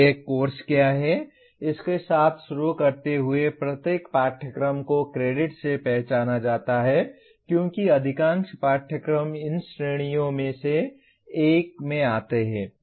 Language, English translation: Hindi, Starting with what a course is, every course is identified by the credits associated as majority of the courses fall into one of these categories